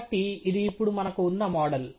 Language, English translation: Telugu, So, this is the model now we have